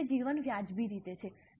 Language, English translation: Gujarati, For that, the life is reasonably wrong